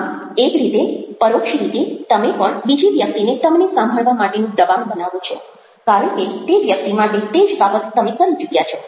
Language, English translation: Gujarati, so, in a way, indirectly, you are also pressurizing the other person to listen to you because you are done the same thing for that person